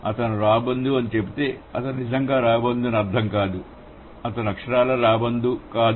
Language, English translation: Telugu, If I say he is a vulture, that doesn't mean that he is actually a vulture, he is literally a vulture, not really